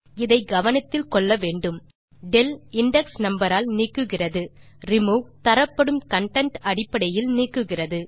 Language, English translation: Tamil, One should remember this, that while del removes by index number, remove removes on the basis of content being passed on